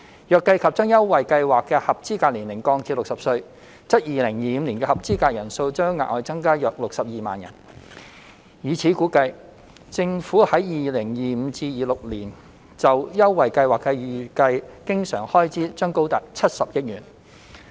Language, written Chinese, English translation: Cantonese, 如計及將優惠計劃的合資格年齡降至60歲，則2025年的合資格人數將額外增加約62萬人。以此估算，政府在 2025-2026 年度就優惠計劃的預計經常開支將高達70億元。, Taking into account the proposal to lower the eligible age of the Scheme to 60 the number of eligible persons in 2025 will increase by about 620 000 and on this basis the estimated recurrent expenditure required for the Scheme is expected to be as high as 7 billion in 2025 - 2026